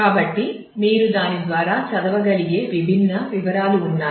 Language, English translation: Telugu, So, there are; so, there are different details you can read through that